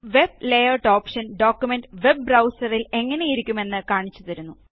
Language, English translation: Malayalam, The Web Layout option displays the document as seen in a Web browser